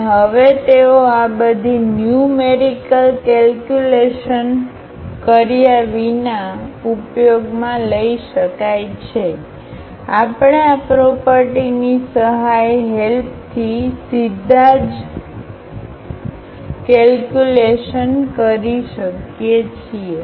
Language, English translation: Gujarati, And now they can be used now without doing all these numerical calculations we can compute directly also with the help of these properties